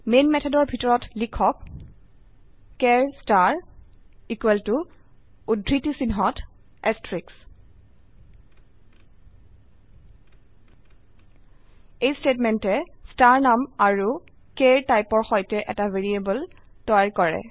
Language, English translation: Assamese, Inside the main method, type char star equal to in single quotes asrteicks This statement creates a variable with name star and of the type char